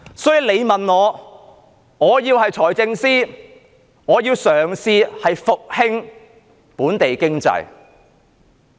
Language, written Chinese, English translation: Cantonese, 所以，如果我是財政司司長，我會嘗試復興本地經濟。, So if I were the Financial Secretary I will try to revive the local economy